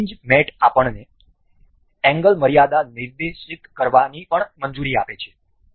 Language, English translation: Gujarati, This hinge mate also allows us to specify angle limits